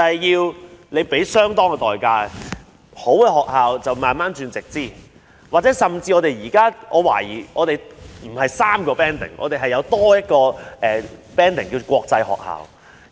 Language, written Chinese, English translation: Cantonese, 優秀的學校逐步變為直資，我甚至懷疑我們的學校不止3個級別，還有另一個級別是國際學校。, As well - established schools have become DSS schools one after another I would say that there are more than three bands in our school banding with the fourth one being international schools